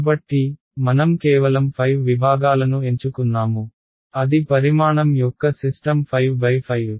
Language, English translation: Telugu, So, I just chose 5 segments what is system of what will be the size of my a 5 cross 5 right